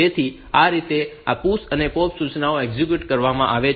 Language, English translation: Gujarati, So, this way this PUSH and POP instructions are executed